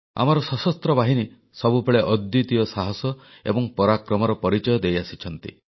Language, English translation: Odia, Our armed forces have consistently displayed unparalleled courage and valour